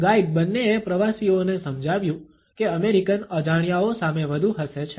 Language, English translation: Gujarati, Guide both explained to tourists that Americans smiled the strangers a lot